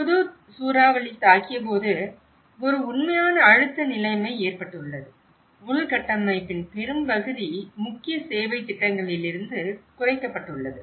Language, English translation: Tamil, When Hudhud cyclone has hit, there has been a real pressurized situation, much of the infrastructure has been cut down from you know, the main service plans